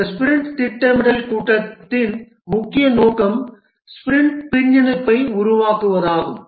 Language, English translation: Tamil, The main objective of this sprint planning meeting is to produce the sprint backlog